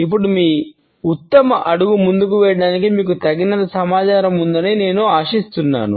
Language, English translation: Telugu, Now, I hope you have enough information to go out and put your best foot forward